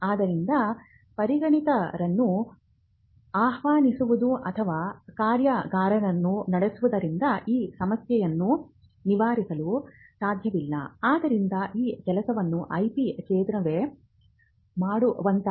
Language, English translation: Kannada, So, inviting a speaker to come and speak or conducting a workshop may not address this part of what an IP centre can do for you